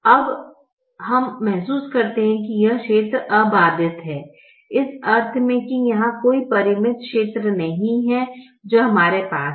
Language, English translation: Hindi, now we realize that this region is unbounded in the sense that there is, there is no finite region that we have